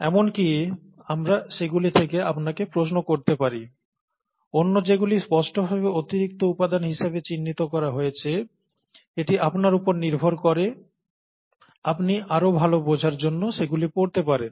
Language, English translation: Bengali, We may even ask you questions from that; whereas the others that are clearly pointed out as additional material, it is upto you, you can go and read them up for better understanding and so on so forth